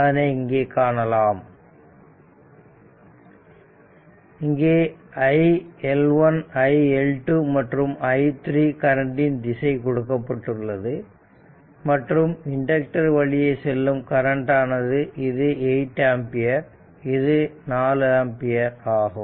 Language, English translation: Tamil, All the direction of the current iL1 iL2 and this is another i3 is given right and your initial current through the inductor, it is given 8 ampere and 4 ampere